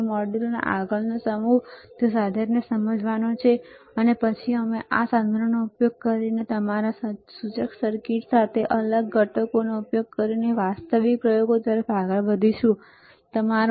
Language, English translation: Gujarati, So, the next set of modules is to understand the equipment, and then we will move on to actual experiments using this equipment and using the discrete components along with your indicator circuits, all right